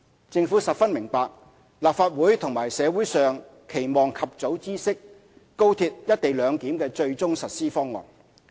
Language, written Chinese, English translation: Cantonese, 政府十分明白，立法會及社會上期望及早知悉高鐵"一地兩檢"的最終實施方案。, The Government fully understands that the Legislative Council and the community wish to know about the final co - location arrangement of XRL as early as possible